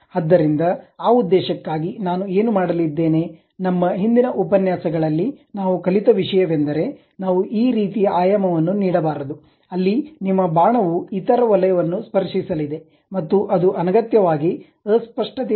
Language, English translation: Kannada, So, for that purpose, what I am going to do, one of the thing what we have learnt in our earlier lectures we should not give this kind of dimension, where your arrow is going to touch other circle and it unnecessarily create ambiguity with the picture